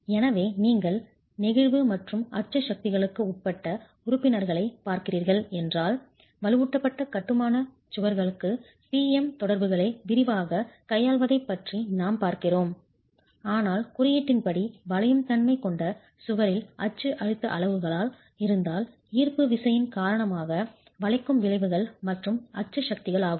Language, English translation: Tamil, So if you are looking at members that are subjected to flexure and axial forces, we would be looking at treating PM interactions for reinforced masonry walls in detail, but the code requires that if the axial stress levels in a wall that has both flexure bending effects and axial forces due to gravity